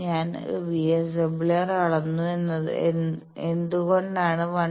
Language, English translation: Malayalam, So, VSWR we have measured to be 1